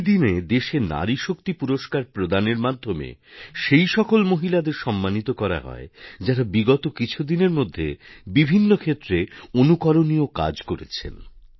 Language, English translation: Bengali, On this day, women are also felicitated with 'Nari Shakti Puraskar' who have performed exemplary tasks in different sectors in the past